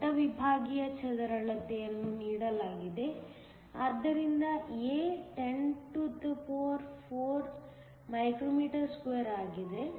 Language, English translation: Kannada, The cross sectional area is given; so A is 104 μm2